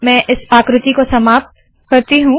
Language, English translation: Hindi, Let me end this figure